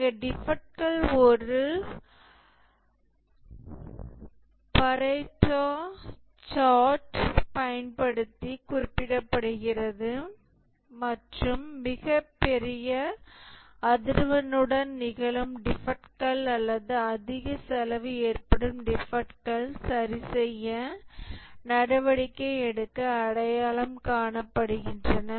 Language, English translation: Tamil, Here the defects are represented using a Pareto chart and the defects that occur with the greatest frequency or that incur the highest cost are identified to take corrective action